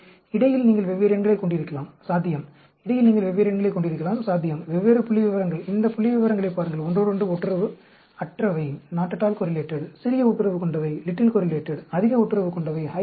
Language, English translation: Tamil, So, in between, you can have different numbers possible; in between, you can have different numbers possible, different figures; look at these figures; not at all correlated, little correlated, highly correlated